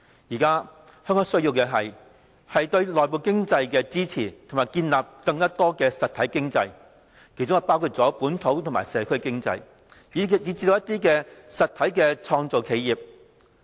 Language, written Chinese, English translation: Cantonese, 現在香港需要的是，支持內部經濟和建立更多實體經濟，包括本土和社區經濟，以及一些實體的創造企業。, What Hong Kong now needs are support to its domestic economy and creation of more real economies including local and community economies and some real innovative enterprises